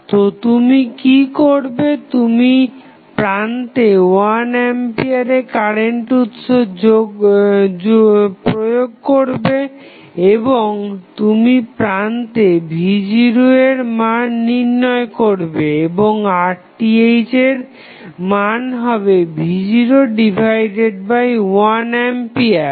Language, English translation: Bengali, So, what you will do, you will apply 1 ampere current source across the terminal and you find out the value of V naught across the terminals and the value of Rth would be V naught divided by 1 ampere